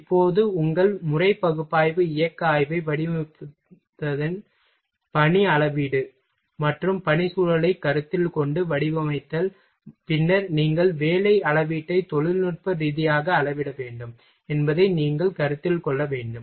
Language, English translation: Tamil, Now, work measurement after your designing your method analysis motional study, and designing of taking consideration of work environment, then you will have to consider you have to technically measure work measurement